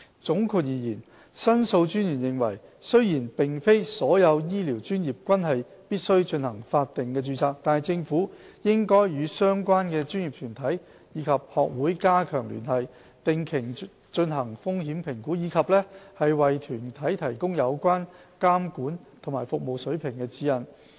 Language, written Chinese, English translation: Cantonese, 總括而言，申訴專員認為，雖然並非所有醫療專業均必須進行法定註冊，但政府應與相關專業團體及學會加強聯繫，定期進行風險評估，以及為團體提供有關監管和服務水平的指引。, In brief The Ombudsman opined that while not all health care professions needed statutory regulation the Government should enhance communication with relevant professional bodies and societies conduct regular risk assessments and provide guidance for such bodies in respect of monitoring and service standards